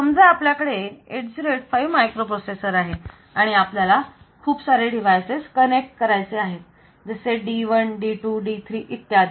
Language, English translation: Marathi, Suppose we have got this as the microprocessor 8085 and we have to we have to con we have connected a number of devices, so this is D1, D2, D3 like that